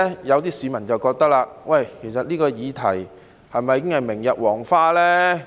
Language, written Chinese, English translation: Cantonese, 有些市民卻認為，這議題是否已經明日黃花呢？, Some members of the public wonder if this topic has already become out - of - date